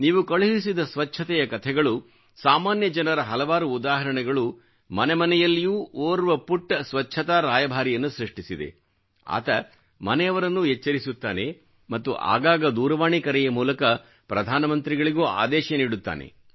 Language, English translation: Kannada, The stories that you've sent across in the context of cleanliness, myriad examples of common folk… you never know where a tiny brand ambassador of cleanliness comes into being in various homes; someone who reprimands elders at home; or even admonishingly orders the Prime Minister through a phone call